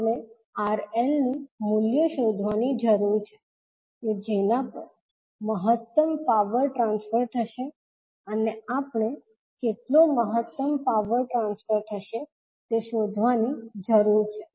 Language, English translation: Gujarati, We need to find out the value of RL at which maximum power transfer will take place and we need to find out how much maximum power will be transferred